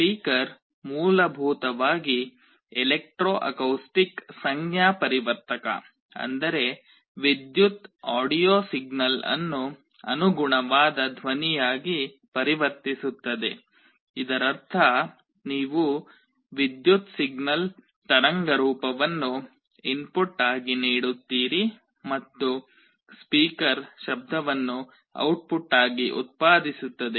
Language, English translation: Kannada, A speaker essentially an electro acoustic transducer, which means is converts an electrical audio signal into a corresponding sound; that means, you give an electrical signal waveform as the input and the speaker will generate a sound as the output